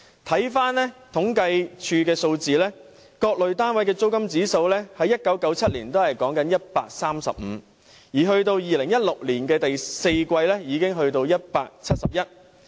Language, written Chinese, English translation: Cantonese, 政府統計處的數字顯示，各類單位的租金指數在1997年是 135， 及至2016年第四季已上升至171。, So they have no alternative but to rent a private property and the rent is indeed outrageously high . Statistics of the Census and Statistics Department show that the Private Domestic―Rental Index All Classes stood at 135 in 1997 and it rose to 171 in the fourth quarter of 2016